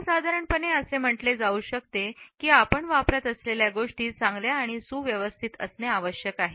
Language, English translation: Marathi, In general it can be said that accessories need to be clean and in good shape